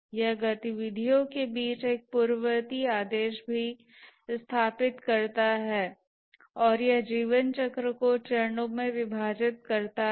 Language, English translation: Hindi, It also establishes a precedence ordering among the activities and it divides the life cycle into phases